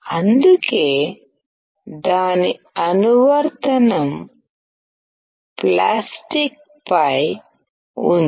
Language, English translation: Telugu, That is why its application is on plastic